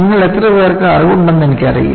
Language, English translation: Malayalam, I do not know how many of you are aware